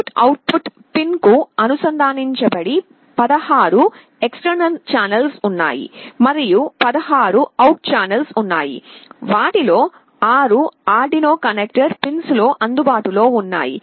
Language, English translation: Telugu, There are 16 external channels that are connected to the input/output pins and out of the 16 channels, 6 of them are available on the Arduino connector pins